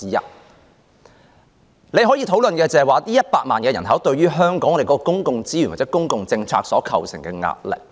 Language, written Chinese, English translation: Cantonese, 大家可以討論的是，這100萬人口對於香港的公共資源或公共政策所構成的壓力。, What we can discuss is the pressure posed by this population of 1 million people on the public resources or public policies of Hong Kong